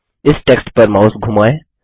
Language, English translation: Hindi, Hover the mouse over this text